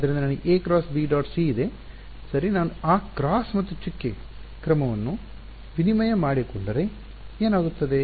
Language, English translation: Kannada, So, I have a cross b dot c right can I if I swap the order of that cross and the dot what happens